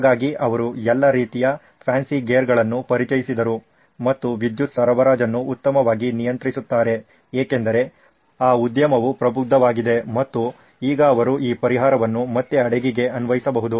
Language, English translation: Kannada, So they introduced all sorts of fancy gear and control the power supply much better because that industry had matured and now they could apply this solution back on to a ship